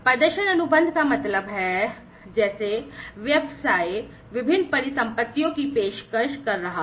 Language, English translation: Hindi, Performance contracts means like the business is offering different assets